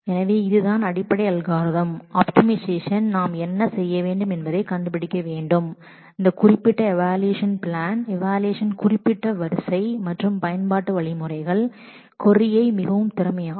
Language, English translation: Tamil, So, this is the basic approach so, for optimization what we need to do we need to find out that particular evaluation plan, that particular order of we the evaluation and the use of algorithms, the use of indexes which will make the query possibly most efficient